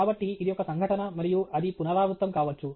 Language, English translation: Telugu, So, it’s an event and that is repeated